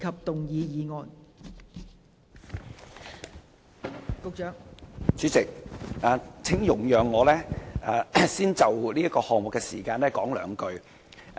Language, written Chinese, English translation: Cantonese, 代理主席，請容許我先就這項議案的時間說兩句話。, Deputy President please allow me to first say a few words about the timing of this motion